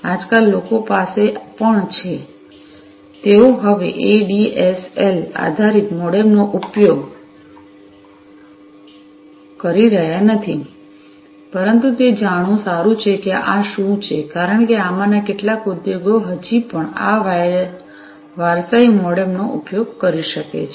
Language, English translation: Gujarati, Nowadays, actually people have also, you know, they are not using ADSL based modems anymore, but still you know it is good to know what are these because some of these industries might still be using these you know these legacy modems